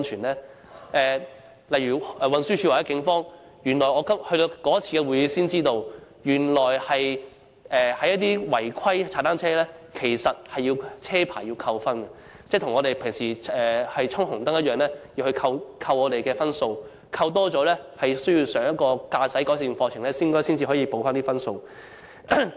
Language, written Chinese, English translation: Cantonese, 其實，我是在某次會議上才從運輸署和警方得知，違規踏單車是要從駕駛執照扣分的，一如駕車衝紅燈般，扣滿一定分數後，就要修讀一個駕駛改善課程以補回分數。, In fact I learnt from TD and the Police at a meeting that if a cyclist violated traffic laws it would attract demerit points in his driving licence as in the case of a driver having driven past a red light and once a certain number of demerit points were incurred the cyclist had to attend a driving improvement course to gain back the points